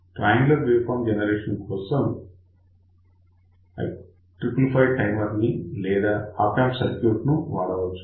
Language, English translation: Telugu, Triangular waveform generation can be realized either using by triple five timer or by using Op amp circuit